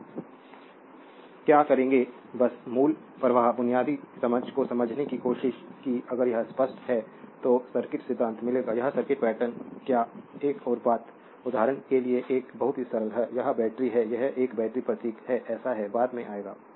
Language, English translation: Hindi, So, what will do, the just tried to understand the basic flow basic understanding if this is clear then you will find circuit theory this your what you call this circuit pattern another thing is a very simple for example, this is a battery, that is a battery symbol another thing so, will come later